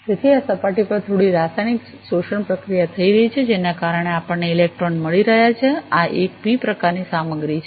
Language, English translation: Gujarati, So, there is some chemical absorption process taking place on this surface, due to which we are getting the electrons this is a p type material